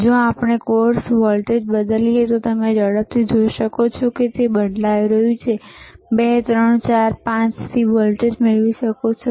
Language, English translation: Gujarati, So, Iif we change the course voltage, you will see can you please change it see you can you can quickly see it is changing and you can get the voltage from 2, 3, 4, 5